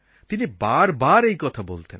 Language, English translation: Bengali, He used to continuously repeat that